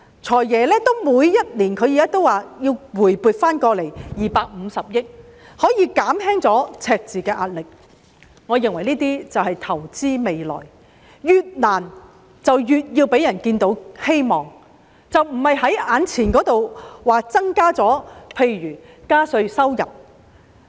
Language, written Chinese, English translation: Cantonese, "財爺"每年也說要回撥250億元以減輕赤字的壓力，我認為這便是投資未來，越困難便越要讓人看到希望，而並非只着重於眼前增加收入，例如增加稅務收入。, FS says every year that he will bring back 25 billion to ease the pressure of the deficit which I think is investing in the future . The more difficult the situation is the more important it is to give people hope and not just focus on generating additional instant income such as increasing tax revenue